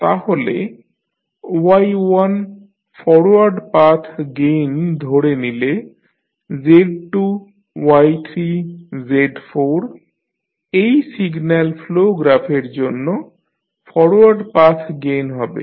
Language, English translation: Bengali, So, your forward path gain is equal to take Y1 then Z2 Y3 Z4 so this will be the forward path gain for the signal flow graph given